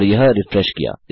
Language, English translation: Hindi, And lets refresh that